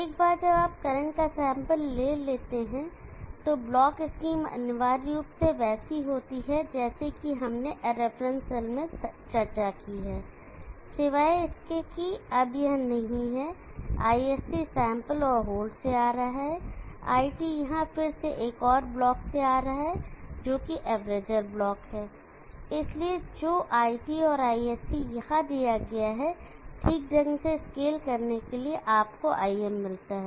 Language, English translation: Hindi, So once you are sample the current the blocks scheme is essentially like what we discuss in the reference cell, except that this is no longer there, ISC is coming from the sample and hold, IT here is again coming from, another block which is the averager block, so IT is given here and ISC is given here, scaled appropriately you get IM